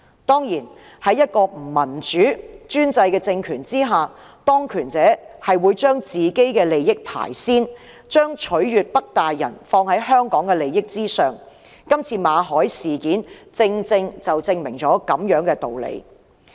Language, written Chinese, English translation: Cantonese, 當然，在一個不民主的專制政權下，當權者是會把自己的利益放於首位，把"取悅'北大人'"放在香港的利益之上，今次馬凱事件正好證明了這個道理。, Of course under an undemocratic and authoritarian regime people in power always put their own interests first and will do everything to win favour with those in power in the north rather than act in the interest of Hong Kong . The Victor MALLET incident is a case in point